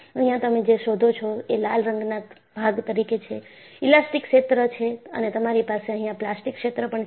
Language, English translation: Gujarati, And, what you find here is, you have the red shaded portion, this is the elastic region and what you have here is the plastic region